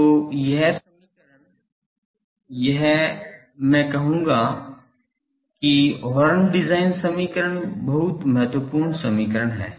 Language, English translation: Hindi, So, this equation is this is the I will say horn design equation very important equation